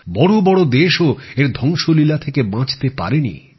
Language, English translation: Bengali, Even big countries were not spared from its devastation